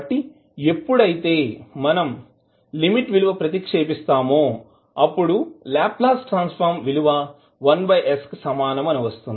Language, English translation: Telugu, So, when you put the limit you will get the value of Laplace transform equal to 1 by s